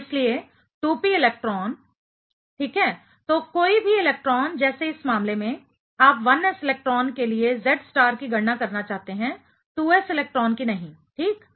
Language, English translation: Hindi, So, therefore, the 2p electron ok; so, any electron let us say in this case you you would like to calculate the Z star for 1s electron, not 2s electron; ok